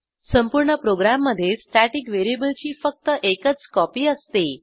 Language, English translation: Marathi, Only one copy of the static variable exists for the whole program